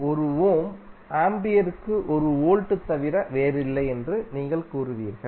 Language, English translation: Tamil, You will say 1 Ohm is nothing but 1 Volt per Ampere